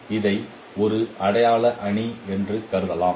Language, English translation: Tamil, We can consider this is as an identity matrix